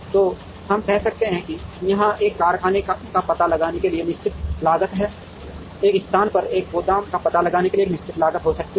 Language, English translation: Hindi, So, we could say that, there is a fixed cost f i of locating a factory here, there could be a fixed cost of g j of locating a warehouse in this place